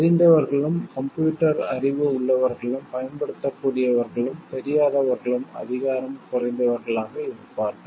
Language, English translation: Tamil, Those who know like who have the knowledge of computers who can use it and those who do not know, it will be the people who will be less powerful